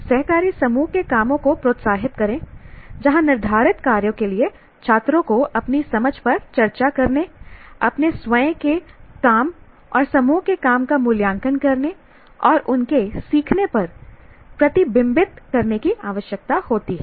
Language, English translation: Hindi, Encourage cooperative group work where set tasks require students to discuss their understanding, evaluate their own work and the work of the group and reflect on their learning